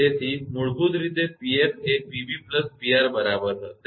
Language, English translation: Gujarati, So, basically P f will be P b plus PR